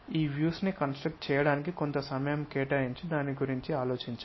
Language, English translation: Telugu, Take some time to construct these views, think about it